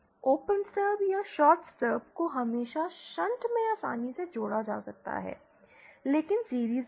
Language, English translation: Hindi, Open stubs or shorted stubs can always can be easily connected in shunt but not in series